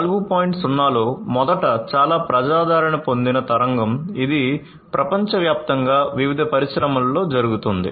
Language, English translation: Telugu, 0, first of all is a very popular wave that is going on worldwide among all different industries